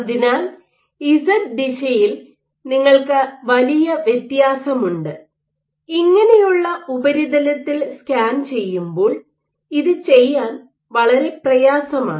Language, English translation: Malayalam, So, you have a huge variation in Z direction which is difficult to do when you are just scanning the surface like this